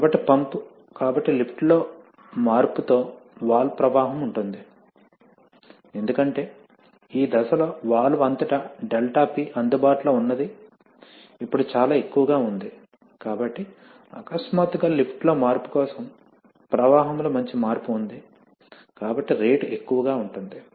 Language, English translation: Telugu, So the pump, so the valve flow with change in lift because 𝛿P Available across the valve is now quite high at this stage, so the, so there is a, for a sudden change in lift there is a good change in the flow, so the rate remains high